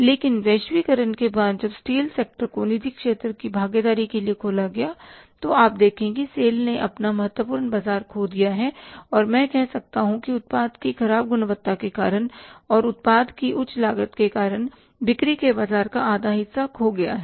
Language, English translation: Hindi, But after the globalization, when the steel sector was opened for the private sector participation you see that sale has lost its significant market and I can say that half of the market of the sale is has been lost because of the poor quality of the product and very high cost of the product